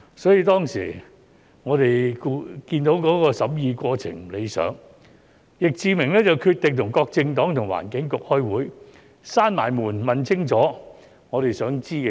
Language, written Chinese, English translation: Cantonese, 所以，當時我們看到審議過程不理想，易志明議員便決定與各政黨和環境局開會，關上門問清楚我們想知道的事。, That is why when we found the scrutiny process unsatisfactory Mr Frankie YICK decided to hold meetings with various political parties and the Environment Bureau in order to seek clarification on what we would like to know behind closed doors